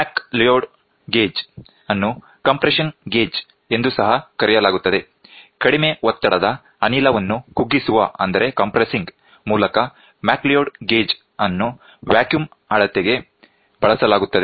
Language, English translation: Kannada, McLeod gauge which is also known as the compression gauge is used for vacuum measurement, by compressing the low pressure gas whose pressure is to be measured